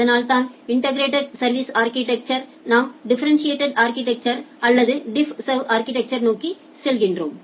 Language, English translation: Tamil, And that is why from the integrated service architecture we move towards the differentiated service architecture or DiffServ architecture